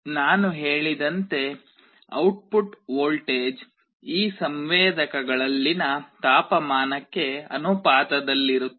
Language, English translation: Kannada, As I said the output voltage is proportional to the temperature in these sensors